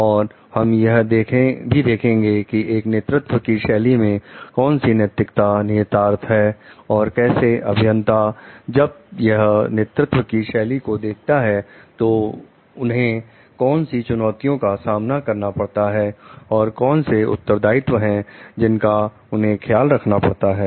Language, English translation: Hindi, And we will try to see what are the ethical implications of these Leadership Styles and like how engineers when they show this leadership style what are the challenges and what are the responsibilities which they need to take care of